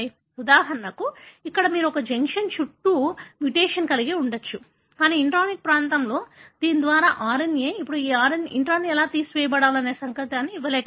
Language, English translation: Telugu, For example, here you could have a mutation around this junction, but in the intronic region, whereby the RNA, now unable to give the signal that this intron should be removed